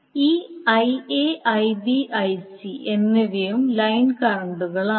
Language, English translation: Malayalam, So these Ia, Ib, Ic are also the line currents